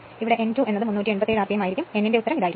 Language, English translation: Malayalam, So, n 2 will be 387 rpm, this is the answer for n 2